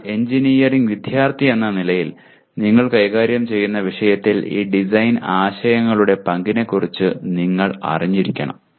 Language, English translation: Malayalam, But as a student of engineering one should be aware of the role of these design concepts in the subject that you are dealing with